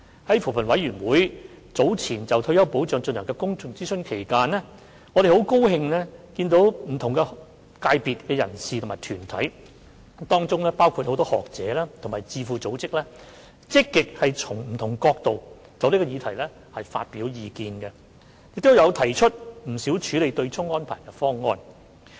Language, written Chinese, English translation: Cantonese, 在扶貧委員會早前就退休保障進行的公眾諮詢期間，我們很高興見到不同界別的人士和團體，包括很多學者和智庫組織等，都積極從不同角度就這項議題發表意見，亦提出了不少處理對沖安排的方案。, During the public consultation on retirement protection held by the Commission on Poverty we were happy to see people and groups from different sectors including many academics and think tanks actively expressing their views on the issue from various perspectives and putting forward various solutions to deal with the offsetting arrangement